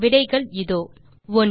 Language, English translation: Tamil, And the answers, 1